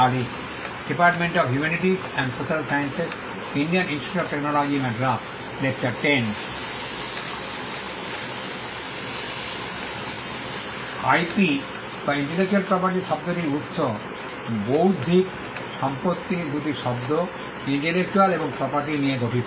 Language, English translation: Bengali, Origin of the term IP or intellectual property; Intellectual property comprises of two words intellectual and property